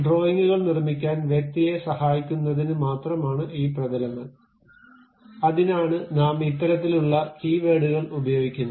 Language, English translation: Malayalam, This planes are just for the to help the person to construct the drawings, these kind of keywords have been used